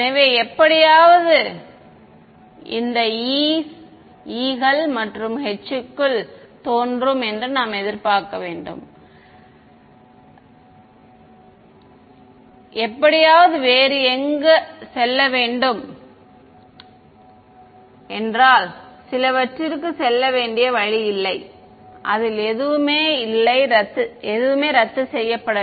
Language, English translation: Tamil, So, we should expect that somehow these e’s and h’s small e’s and small h’s will appear inside this k somehow where else right it has to go some were there is no way for any of it cancel off ok